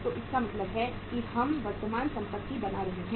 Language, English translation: Hindi, So it means we are to create the current assets